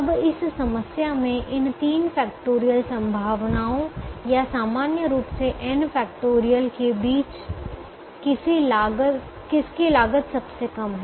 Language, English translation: Hindi, now, among these three factorial possibilities in this problem, or n factorial in general, which one has the least cost